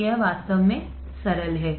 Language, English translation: Hindi, So, it is really simple